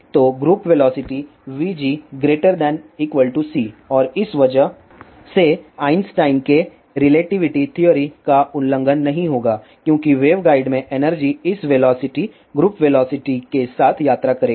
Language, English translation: Hindi, So, the group velocity is always less than or equal to a speed of light and because of this there will not be violation of Einstein's relativity theory because the energy in the waveguide will travel with this velocity group velocity